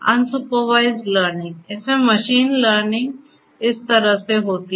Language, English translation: Hindi, So, unsupervised learning; in this the machine learning happens in this way